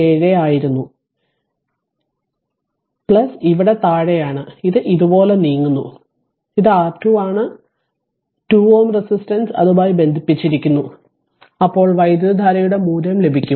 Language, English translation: Malayalam, 947; so, it is plus is here bottom here right and it is moving like this, and this is R Thevenin with that 2 ohm resistance you connect now and you will get the value of the current